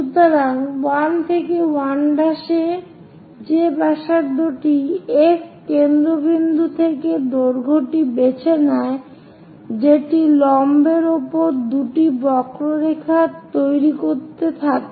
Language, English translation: Bengali, So 1 to 1 prime whatever that radius pick that length from F as centre cut two arcs on the perpendicular